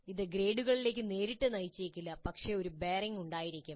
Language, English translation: Malayalam, This may not directly lead to the grades but it must have a bearing